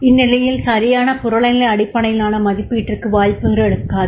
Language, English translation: Tamil, Then in that case there might not be the chances of correct objective based appraisal